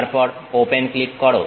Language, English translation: Bengali, Then click Open